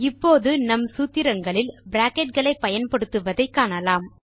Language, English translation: Tamil, Let us now learn how to use Brackets in our formulae